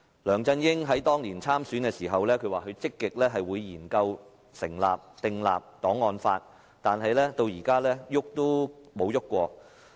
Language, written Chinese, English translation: Cantonese, 梁振英當年競選時表示會積極研究訂立檔案法，但至今仍沒有進行絲毫的立法工作。, When he ran in the election years back LEUNG Chun - ying said that he would actively study the enactment of an archives law but he has not done the slightest bit of work for legislating to this effect